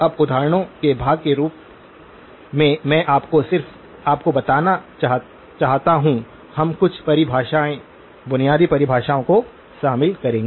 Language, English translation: Hindi, Now, as part of the examples, I just want to you to just, we will include some definitions, basic definitions